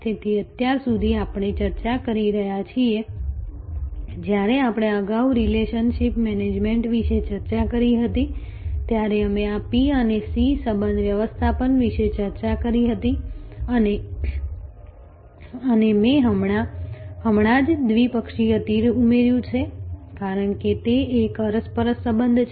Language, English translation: Gujarati, So, far we have been discussing, when we earlier discussed about relationship management, we discussed about this P to C relationship management and I just added bidirectional arrow, because it is an interactive relationship